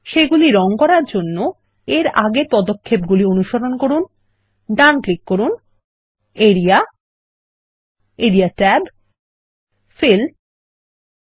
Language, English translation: Bengali, To color them, lets follow the same steps as in the previous ones right click, area, area tab, fill, color, turquoise 1